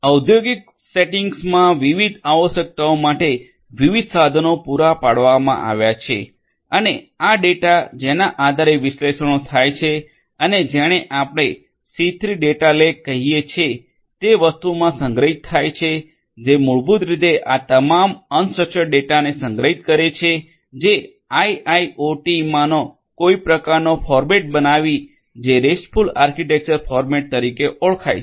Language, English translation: Gujarati, Different tools have tools have been provided catering to the different requirements in the industrial setting and these data based on which the analytics have done are stored in something called the C3 Data Lake, which basically stores all this unstructured data that a typical of IIoT in using some kind of a format which is known as the RESTful architecture format